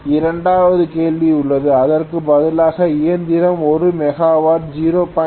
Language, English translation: Tamil, There is a second question, instead if the machine is working as a motor at 1 megawatt 0